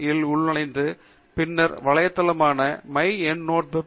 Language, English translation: Tamil, com, and the website will then get redirected itself to myendnoteweb